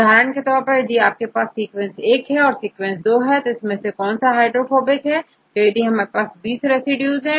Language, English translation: Hindi, For example, if I have the sequence 1 and sequence 2 and I want to see which residue is highly hydrophobic